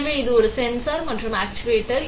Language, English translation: Tamil, So, this is a sensor and actuator